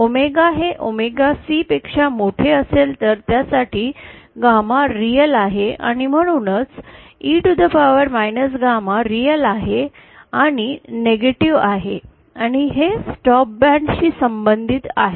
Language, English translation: Marathi, For omega greater than omega C, gamma is real and hence E to the power minus gamma is real and negative and this corresponds to stop them